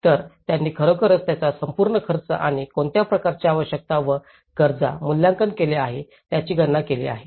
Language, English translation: Marathi, So, they have actually calculated the whole expenditure of it and as well as what kind of requirement and needs assessment has been done